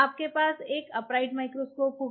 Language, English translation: Hindi, You have to place microscope